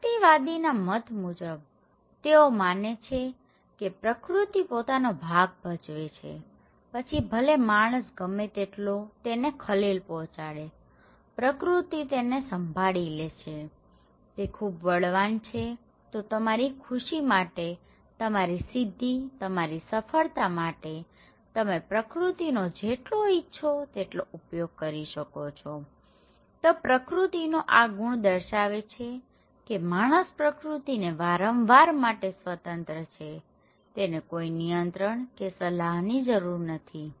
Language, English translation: Gujarati, For the individualist, they believe that nature is like no matter how much human disturb it, it will; they can handle it, nature can handle it, it is super powerful, so for your own well being, for your own achievement for your own success, you can utilize the nature as much as you wish and okay, this myth of nature shows that there is no need for control or cooperations, people are free to use the nature